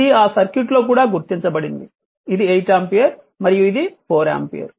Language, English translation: Telugu, This is also marked in that circuit this is 8 ampere and this is 4 ampere